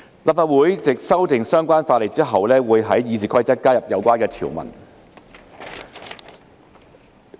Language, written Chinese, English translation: Cantonese, 立法會藉修訂相關法例後，會在《議事規則》加入有關條文。, After the relevant legislation is amended the Legislative Council will add the provisions concerned to RoP